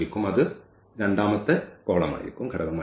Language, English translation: Malayalam, So, that will be the second element